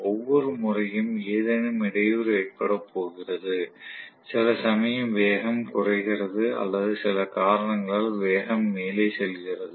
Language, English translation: Tamil, Every time there is going to be some disturbance, some speed coming down or going up due to some reason